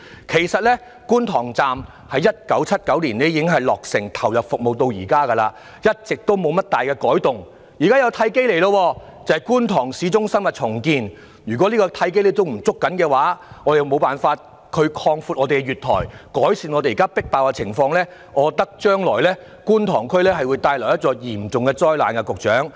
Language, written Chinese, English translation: Cantonese, 其實，觀塘站在1979年已落成投入服務至今，一直未有大改動，現時有一個契機，就是觀塘市中心重建，如果港鐵公司未能抓緊這個契機來擴闊月台，改善現時迫爆的情況，我覺得將來會為觀塘區帶來嚴重的災難。, In fact Kwun Tong Station has not undergone any major changes since its commissioning in 1979 . The redevelopment of the Kwun Tong Town Centre presents a golden opportunity for station enhancement . If MTRCL fails to grasp this opportunity to expand the platform and alleviate the congestion it will end up being a disaster to Kwun Tong